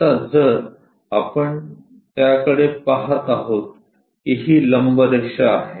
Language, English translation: Marathi, Now if we are looking at that this is the perpendicular line